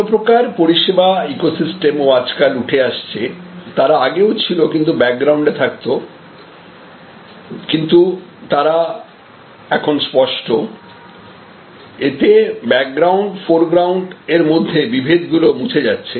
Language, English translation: Bengali, There are other kinds of service ecosystems also now emerging, they had always existed but in the background, but now they can become also quite explicit and so the background foreground divisions are now often getting defused